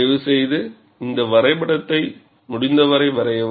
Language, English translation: Tamil, And please draw this graph as well as possible